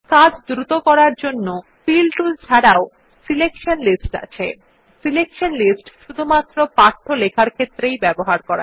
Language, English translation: Bengali, Apart from Fill tools there is one more speed up tool called Selection lists which is limited to using only text